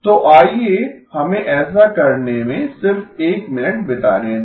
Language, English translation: Hindi, So let us just spend a minute to do that